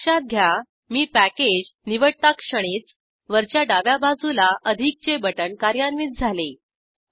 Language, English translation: Marathi, Notice that the moment I choose the package, the plus button on the top left side gets enabled